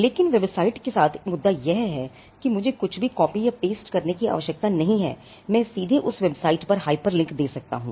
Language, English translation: Hindi, But the point with the website is I need not copy or paste anything; I can give a hyperlink directly to that website